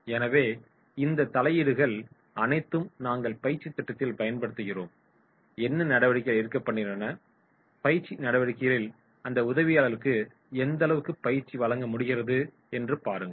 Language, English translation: Tamil, So all these interventions that we are using in the training program and whatever the activities are going on and they are able to provide that assistants in the training activities